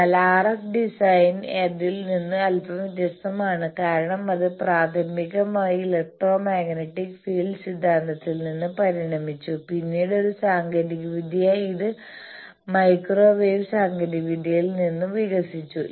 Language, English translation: Malayalam, How to design a filter etcetera, but RF design is a bit different from that because it evolves from primarily from electromagnetic field theory, then as a technology it evolved from microwave technology